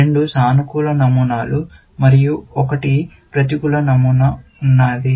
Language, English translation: Telugu, There are two positive patterns and one negative pattern